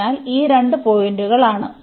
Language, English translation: Malayalam, So, these are the two points